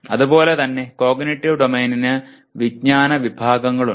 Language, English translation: Malayalam, And similarly Cognitive Domain has Knowledge Categories